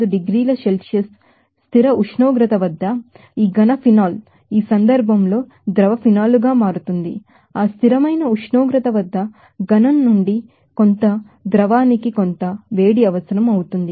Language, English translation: Telugu, 5 degree Celsius at 1 atmospheric pressure, this solid phenol will become to liquid phenol in this case, becoming that solid to liquid at that constant temperature are some heat will be required